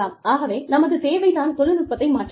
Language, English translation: Tamil, So, necessity changes the technology